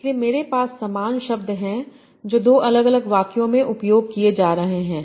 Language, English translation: Hindi, So I have the same word serve being used in two different sentences